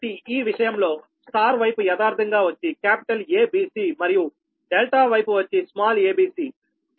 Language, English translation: Telugu, so in this case your this: this side, star side, actually capital a b, c and delta side small a b c